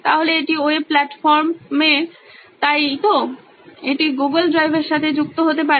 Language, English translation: Bengali, So this is on web platform right, it can be linked to google drive